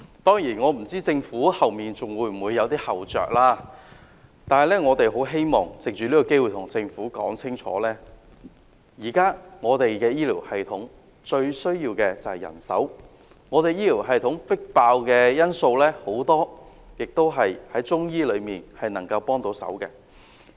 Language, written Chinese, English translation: Cantonese, 當然，我不知道政府往後會否還有後着，然而，我們希望藉此機會對政府說清楚，現時我們的醫療系統最需要的是人手，而有見及我們的醫療系統爆滿，很多病症也是中醫藥能夠協助治理的。, Of course I do not know if the Government will have any follow - up measures . Still we hope to take this opportunity to make it clear to the Government that manpower is what is most needed in our health care system . Given the overstretch of our health care system Chinese medicine could be of help in the treatment of many diseases